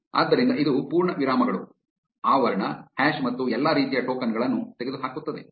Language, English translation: Kannada, So, this will eliminate full stops, parenthesis, hash and all those kinds of tokens